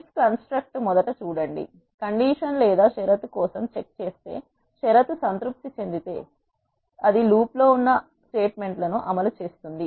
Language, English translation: Telugu, First look at if construct, what if does is if checks for a condition if the condition is satisfied it will execute the statements that are in the if loop